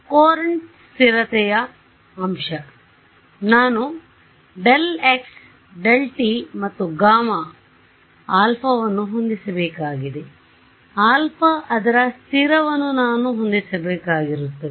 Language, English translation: Kannada, Courant stability factor right; so, I have to set delta x delta t and alpha right; alpha should be such that its stable right this is what I have to set